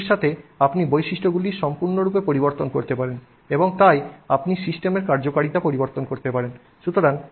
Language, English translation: Bengali, And with that you can completely change the properties and therefore you can change the utility of the system